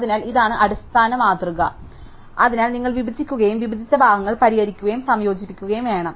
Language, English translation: Malayalam, So, this is the basic paradigm, so you have to divide, solve the divided parts and combine